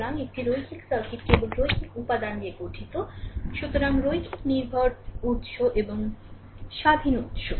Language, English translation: Bengali, So, a linear circuit consist only linear elements; so, linear dependent sources and independent source